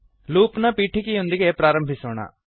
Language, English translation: Kannada, Let us start with the introduction to loops